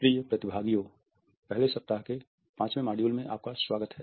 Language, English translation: Hindi, Welcome dear participants to the 5th module of the first week